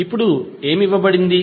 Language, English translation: Telugu, Now, what is given